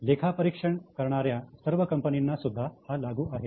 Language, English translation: Marathi, It also is applicable to all audit firms